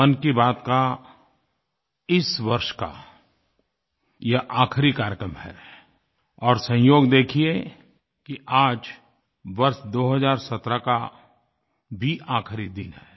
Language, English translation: Hindi, This is the last edition of 'Mann Ki Baat' this year and it's a coincidence that this day happens to be the last day of the year of 2017